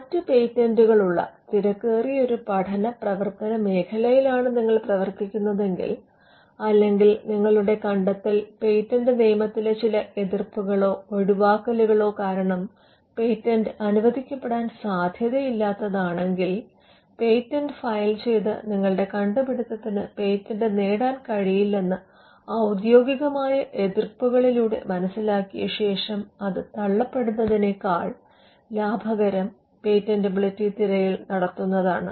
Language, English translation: Malayalam, So, if you are operating in a heavily crowded field, where there are other patents, or if your invention is an invention that would not be granted a patent due to certain objections or exceptions in the patent law, then you would save much more in costs if you get a patentability search done rather than filing a patent, and then realizing through office objections that your invention cannot be patented